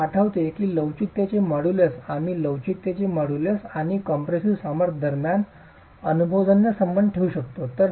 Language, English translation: Marathi, You remember that models of elasticity we could have an empirical relationship between the modulus of elasticity and the compressive strength